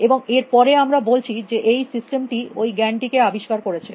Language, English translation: Bengali, And then we say this system is discovered that knowledge